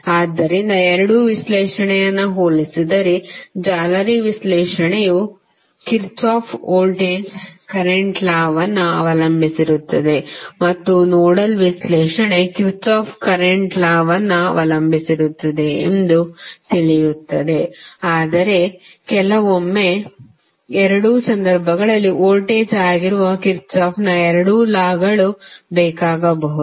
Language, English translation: Kannada, So, if you compare both of the analysis you will come to know that mesh analysis is depending upon Kirchhoff Voltage Law and nodal analysis is depending upon Kirchhoff Current Law but sometimes in both of the cases you might need both of the Kirchhoff’s Laws that is voltage law as well as current law to solve the circuit